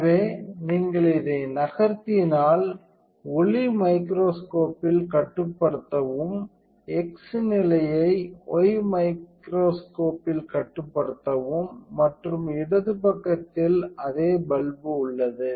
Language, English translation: Tamil, So, if you move in this one control the light microscope the x position in the y microscope and the left side has the same bulb